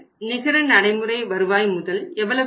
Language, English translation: Tamil, Net working capital is going to be how much